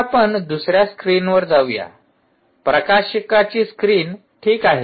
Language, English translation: Marathi, now lets move to the other screen, the, the publishers screen